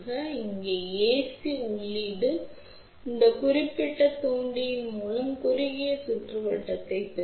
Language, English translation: Tamil, So, the ac input here will get short circuited through this particular inductor